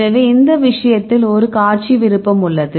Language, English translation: Tamil, So, in this case we have a display option right